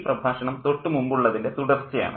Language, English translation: Malayalam, And this lecture is a continuation of the previous one